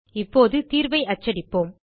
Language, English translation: Tamil, Let us now print the result